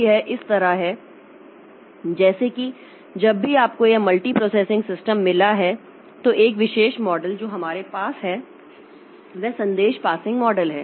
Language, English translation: Hindi, Like whenever you have got this multi processing system, then one particular model that we have is the message passing model